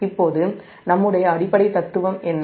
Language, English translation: Tamil, now what is our, what is the basic philosophy